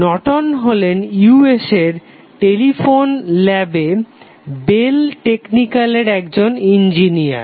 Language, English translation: Bengali, So, Norton was an Engineer in the Bell Technical at Telephone Lab of USA